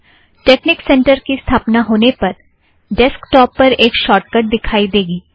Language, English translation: Hindi, Then texnic center gets installed with a shortcut on the desktop